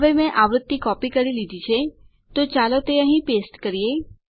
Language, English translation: Gujarati, Now I have copied the frequency , so let me paste it here